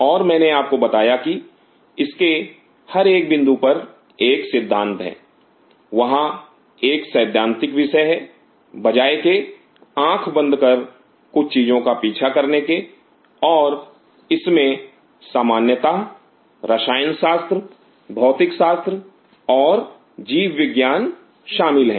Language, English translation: Hindi, And I told you that at every point of it there is a philosophy, there is a philosophizing subject instead of blindly following certain things and there is simple chemistry, physics, and biology involved in it